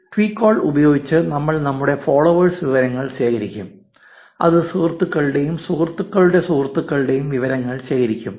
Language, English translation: Malayalam, Using twecoll, we will collect our followees information which is also called friends and friends of friends information